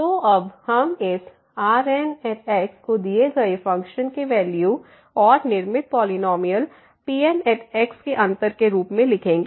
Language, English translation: Hindi, So now, we will denote this as the difference between the values of the given function and the constructed polynomial